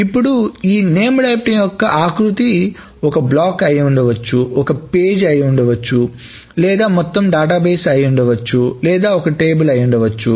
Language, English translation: Telugu, Now the granularity of this named item may be a block, maybe a page, maybe the entire database,, maybe a table, etc